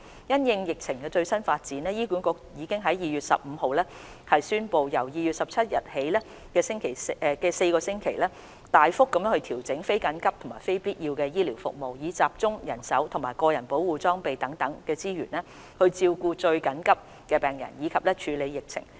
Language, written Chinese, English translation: Cantonese, 因應疫情最新發展，醫管局已於2月15日宣布，由2月17日起的4星期，大幅度調整非緊急及非必要醫療服務，以集中人手及個人保護裝備等資源照顧最緊急的病人及處理疫情。, In view of the latest situation of the COVID - 19 outbreak HA announced on 15 February to adjust non - emergency and non - essential medical services significantly in the four weeks starting from 17 February so as to focus manpower and resources such as personal protective equipment on providing care for the most critical patients and responding to the outbreak